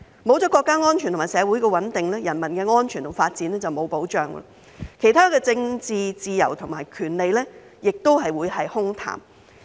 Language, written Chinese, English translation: Cantonese, 沒有國家安全和社會穩定，人民的安全和發展就沒有保障，其他政治自由和權利也只會是空談。, Without national security and social stability there will be no protection for the safety of people and development and other political freedoms and rights will only be empty talk